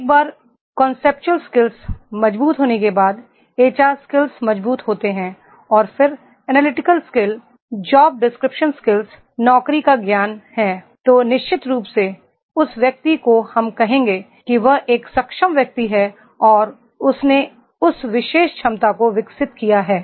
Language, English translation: Hindi, Once the conceptual skills are strong, HR skills are strong and then job analytical skill, job description skills, job knowledge is there then definitely that person we will say that he is an able person and he has developed that particular ability